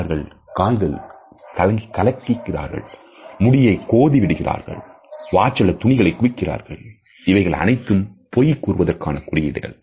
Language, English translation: Tamil, Are they shuffling the feet or playing with the hair or massing with the watch or clothing, all these could be potential signs of deceit